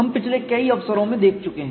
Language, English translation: Hindi, We have seen in several earlier occasions